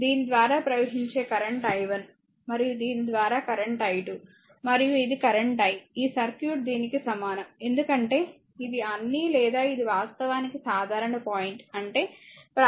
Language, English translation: Telugu, And current flowing through this is i 1; that means, current through this is your i 1 and current through this is your i 2, and this is the current that is your i that is whatever this circuit is equivalent to this one, right because it is a all or this is actually common point; that means, your i is equal to basically i 1 plus i 2